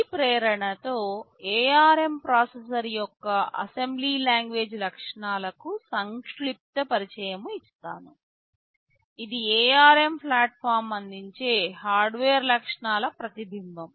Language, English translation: Telugu, With this motivation we are giving you a brief introduction to the assembly language features of the ARM processor that is a reflection of the hardware features that are provided by the ARM platform